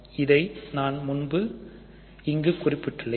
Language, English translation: Tamil, This I have mentioned here before